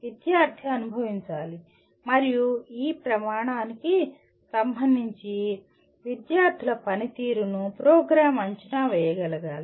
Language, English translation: Telugu, Student should experience and the program should be able to evaluate the student performance with regard to this criteria